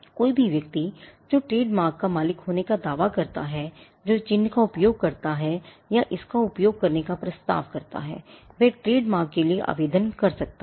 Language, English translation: Hindi, Any person claiming to be the proprietor of a trademark, who uses the mark or propose to use it can apply for a trademark